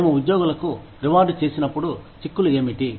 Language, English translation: Telugu, What are the implications, when we reward employees